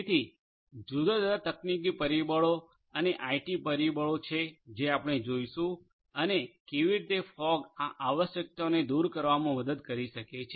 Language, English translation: Gujarati, So, different operation technologies factors and IT factors is what we are going to look at and how fog can help in addressing these requirements